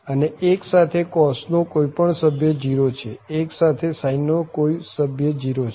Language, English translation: Gujarati, And 1 with any other member of the cos is 0, 1 with any other member of the sin it is 0